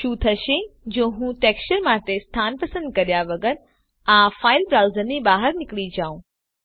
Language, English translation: Gujarati, What if I want to exit this file browser without selecting a location for the textures